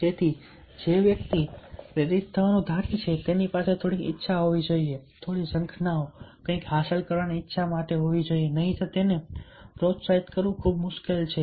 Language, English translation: Gujarati, so the person who is suppose to get motivated, he or she must have some desire, some longings, some something to achieve, otherwise, ah, it will be very difficult to motivate